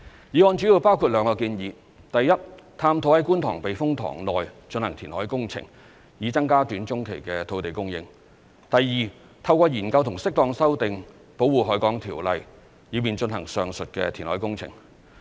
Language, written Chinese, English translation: Cantonese, 議案主要包括兩個建議，第一，探討於觀塘避風塘內進行填海工程，以增加短中期土地供應；第二，透過研究和適當修訂《保護海港條例》，以便進行上述填海工程。, The motion mainly contains two proposals first to explore undertaking reclamation project at the Kwun Tong Typhoon Shelter to increase land supply in the short and medium term; second to examine and appropriately amend the Protection of the Harbour Ordinance to facilitate the said reclamation project